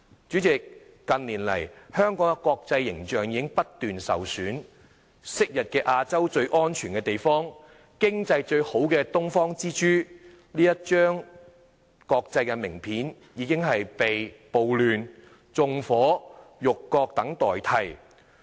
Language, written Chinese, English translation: Cantonese, 主席，近年來香港的國際形象已經不斷受損，昔日亞洲最安全的地方、經濟最好的東方之珠，這一張國際名片已經被暴亂、縱火、辱國等所代替。, President in recent years Hong Kongs international image has been injured continually . In the past its international name card used to carry such descriptions as The Pearl of the Orient the safest place with the best economy in Asia but they have now been replaced by such descriptions as riots arson and insults to the country